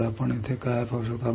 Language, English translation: Marathi, So, what we can see here